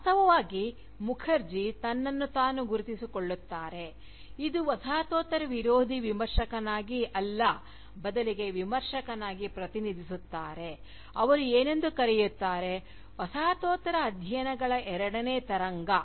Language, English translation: Kannada, Indeed, Mukherjee identifies himself, not as an Anti Postcolonial Critic, but rather as a Critic, who represents, what he calls, the second wave of Postcolonial studies